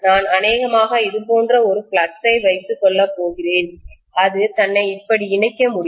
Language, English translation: Tamil, I am probably going to have a flux like this and it can just link itself like this, right